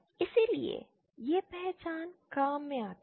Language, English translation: Hindi, Hence these identities come in handy